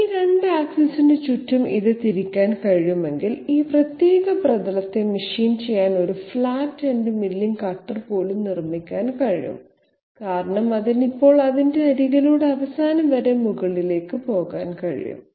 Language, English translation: Malayalam, If it can be rotated about these 2 axis, then even a flat ended milling cutter can be made to machine this particular surface because it will be now able to go right up to end, cutting by its edge